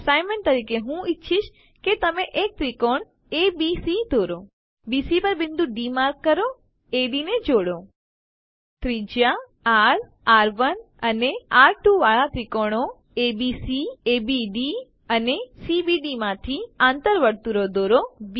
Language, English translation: Gujarati, As an assignment i would like you to draw a triangle ABC Mark a point D on BC, join AD Draw in circles form triangles ABC, ABD and CBD of radii r, r1 and r2